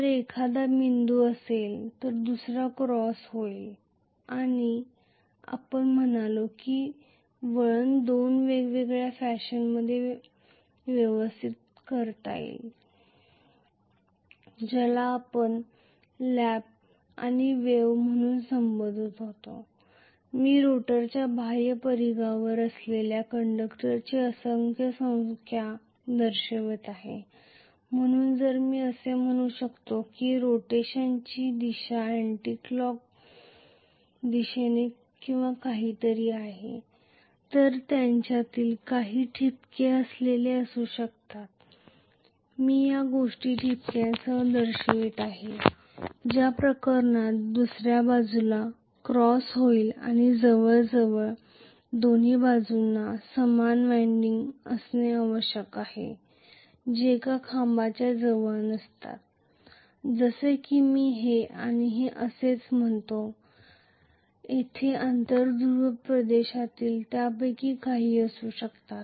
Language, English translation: Marathi, If one is dot the other one will be cross and we said the winding could be arranged in two different fashion which we called as lap and wave so, I am showing multiple number of you know the conductors that are placed on the outer periphery of the rotor, so if I may say may be the direction of rotation is anticlockwise or something, then I am going to have may be some of them having dot I am just showing these things having dots in which case the other side will be having cross this is of it is going to be